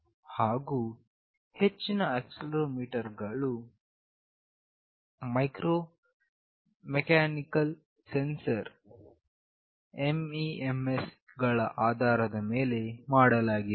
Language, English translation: Kannada, Most of the accelerometers that are developed are based on Micro Electro Mechanical Sensors